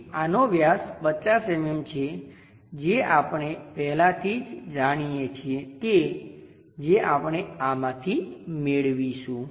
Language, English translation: Gujarati, So, this diameter is 50 mm we already know which we will get it from this